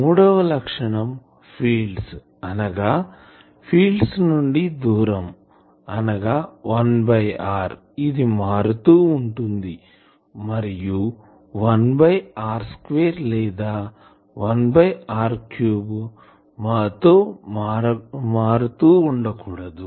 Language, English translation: Telugu, And the third criteria is that the fields, the distance at where the field should vary as 1 by r, predominantly not by 1 by r square or 1 by r cube etc